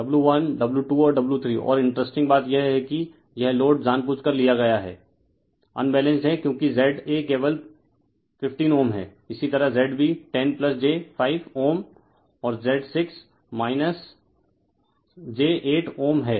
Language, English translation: Hindi, W 1 W 2 and W 3 and interesting thing this thing you have intentionally taken the this load is Unbalanced because Z a is simply 15 ohm , similarly Z b is 10 plus j 5 ohm and Z 6 minus j 8 ohm